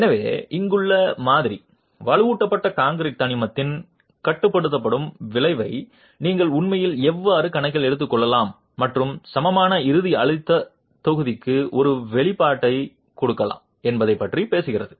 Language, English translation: Tamil, So, the model here talks about how you can actually take into account the confining effect of the reinforced concrete element and gives an expression for the equivalent ultimate stress block